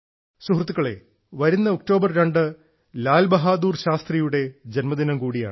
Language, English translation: Malayalam, the 2nd of October also marks the birth anniversary of Lal Bahadur Shastri ji